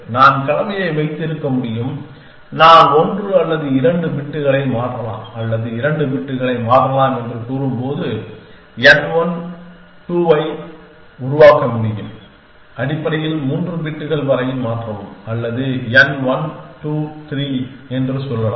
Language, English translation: Tamil, It move at me far from their all I can have combination I can device n 1 2 which says change 1 or 2 bits or change up to 2 bits essentially, I can say change up to 3 bits essentially or n 1, 2, 3, I can go up to none n which in our example would be n 1, 2, 3, 4, 5